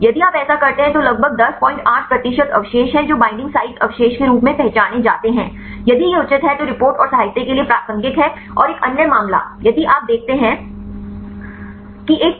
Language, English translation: Hindi, 8 percent of residues which identified as binding site residues if this is reasonable there is relevant to the report and literature and another case if you see there is a peak